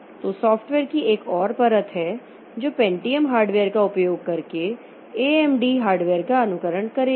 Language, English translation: Hindi, So, so there is another layer of software that will be emulating the AMD hardware by using the Pentium hardware